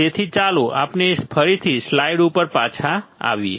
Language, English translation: Gujarati, So, let us see again come back to the slide